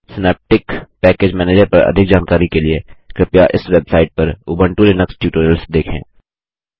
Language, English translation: Hindi, For more information on Synaptic Package Manager, please refer to the Ubuntu Linux Tutorials on this website